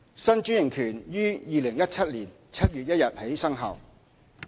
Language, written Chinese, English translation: Cantonese, 新專營權於2017年7月1日起生效。, The new franchise will commence on 1 July 2017